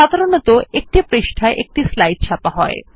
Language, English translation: Bengali, By default, it prints 1 slide per page